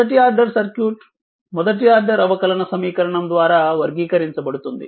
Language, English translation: Telugu, A first order circuit is characterized by first order differential equation